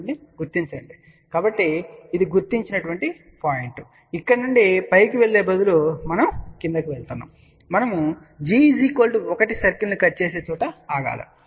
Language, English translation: Telugu, 2, so this is the point which has been located, so from here instead of a going up, we are going down, we stop at a point where it cuts this g equal to 1 circle up